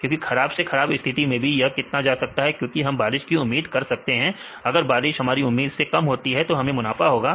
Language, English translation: Hindi, Because the worst case how much it can go because for we expect rain, if it rainfall is less than what we expected up to which conditions; we will get the profit